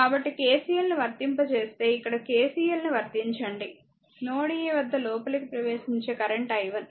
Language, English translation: Telugu, So, apply KCL here if you apply KCL, incoming current at node a is i 1, right